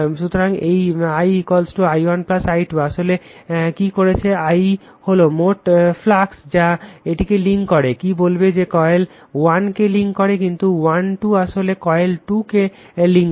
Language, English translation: Bengali, So, this phi 1 is equal to your phi 1 1 plus phi 1 2 what actually you are doing, phi 1 is the total flux right that links this your what you call links the coil 1, but phi 1 2 actually links the coil 2